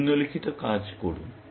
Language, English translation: Bengali, Do the following